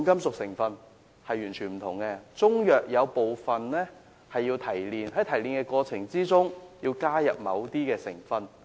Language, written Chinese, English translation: Cantonese, 部分中藥需要提煉，提煉過程中要加入某些成分。, Some Chinese herbal medicines require refining where certain substances need to be added in the refining process